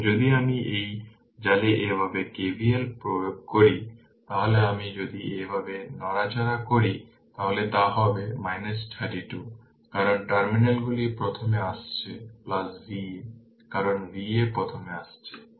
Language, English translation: Bengali, So, if i if we apply KVL like this in this in this mesh, then if you move like this if you move like this, it will be minus 32 because minus terminals is coming first plus V a because V a is coming first right